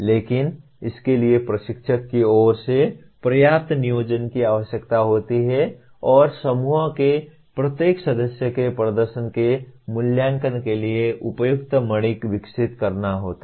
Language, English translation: Hindi, But this requires considerable planning on behalf of the instructor and developing appropriate rubrics for evaluation of the performance of each member of the group